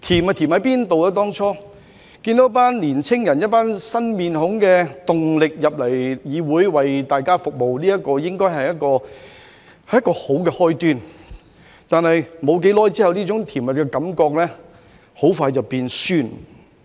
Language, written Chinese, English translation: Cantonese, 看到一夥年青人帶着新面孔、新動力進入議會為大家服務，這應該是一個好的開端。但是，在沒多久之後，這種甜蜜的感覺很快就變酸了。, It should have been a good start to see a group of young people with new faces and new vitality join the legislature to serve the public but this sweet feeling quickly turned sour after a short while